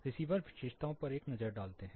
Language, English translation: Hindi, Let us take a look at the receiver characteristics